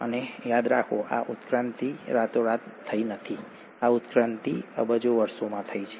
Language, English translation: Gujarati, And mind you, this evolution has not happened overnight, this evolution has happened over billions of years